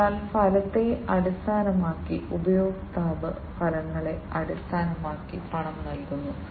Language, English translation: Malayalam, So, based on the outcome, the customer pays based on the outcomes